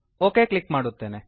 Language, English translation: Kannada, Let me click ok